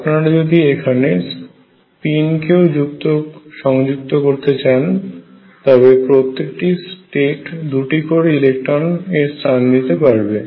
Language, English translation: Bengali, If you include spin if include spin then every state can accommodate 2 electrons